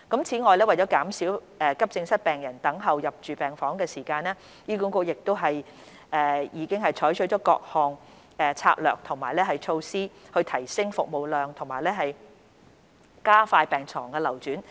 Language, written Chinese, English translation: Cantonese, 此外，為減少急症室病人等候入住病房的時間，醫管局亦已採取各項策略和措施以提升服務量和加快病床流轉。, Furthermore to shorten the waiting time of AE patients for admission to hospital wards HA has adopted various strategies and measures to enhance service capacity and expedite the turnover of hospital beds